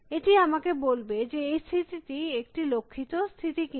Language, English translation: Bengali, It will tell me whether the state that I am looking at is a goal state or not a goal state